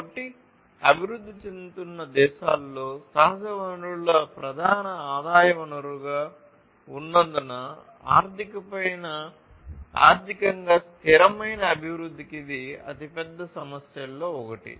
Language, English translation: Telugu, So, this is one of the biggest issues, in contrast, to economically sustainable development as natural resources are the main source of revenue in developing countries